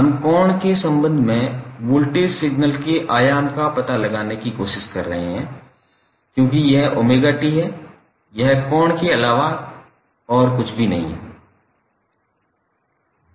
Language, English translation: Hindi, Now what we are doing in this figure we are trying to find out the amplitude of voltage signal with respect to angle because this is omega T that is nothing but angle